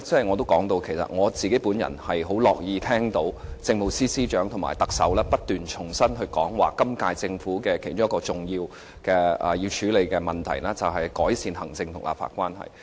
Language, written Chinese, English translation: Cantonese, 我很高興聽到政務司司長及特首不斷重申，表示今屆政府其中一個主要處理的問題，就是改善行政立法關係。, I am glad to hear the Chief Secretary and the Chief Executive reiterating repeatedly that one major problem to be handled by the incumbent Government is to mend the executive - legislature relationship